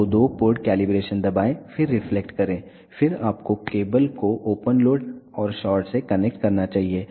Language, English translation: Hindi, So, press two port calibration, then press reflection, then you should connect the cables with open load and short